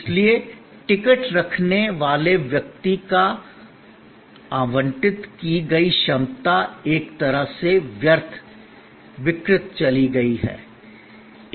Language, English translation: Hindi, So, capacity that was allotted to the person holding the ticket is in a way wasted, perished, gone